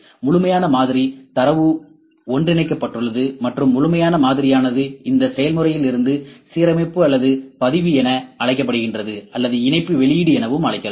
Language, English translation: Tamil, Complete model, data is merged and the complete model is from this process is called alignment or registration or we can call as mesh output